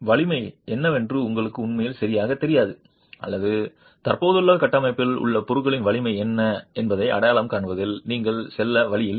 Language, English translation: Tamil, That you really don't know exactly what the strength is or you don't have the means of going and identifying what the strength of the material in the existing structure is